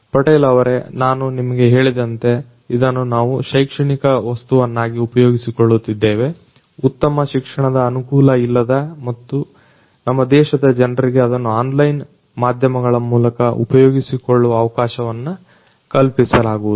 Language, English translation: Kannada, Patel basically as I have told you that we are using this thing for educational content which will be made accessible to people who do not normally have high end education in our country through online media